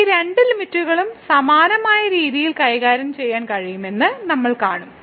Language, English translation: Malayalam, And we will see in a minute there these both limit can be handle in a similar fashion